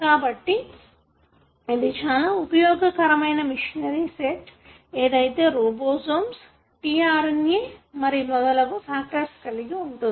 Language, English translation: Telugu, So, this happens using a very dedicated set of machinery which involves ribosomes, tRNA and many other factors